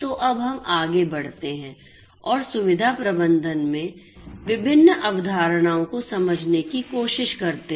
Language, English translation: Hindi, So, let us now go forward and try to understand the different concepts in facility management